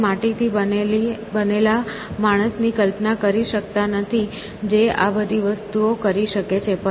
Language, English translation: Gujarati, We cannot imagine man made of clay which could do all this sort of things